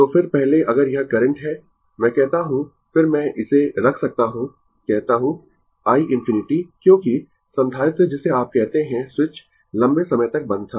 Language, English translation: Hindi, So, then first if this is the current, I say then I I can put it say i infinity because, capacitor your what you call switch was closed for long time